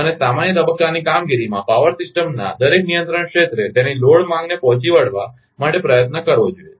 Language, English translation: Gujarati, And in normal stage operation, each control area of a power system should strive to meet its load demand